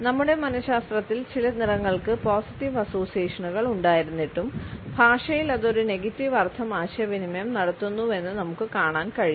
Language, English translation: Malayalam, Despite the positive associations which color has in our psychology, we find that in language it communicates a negative meaning to be in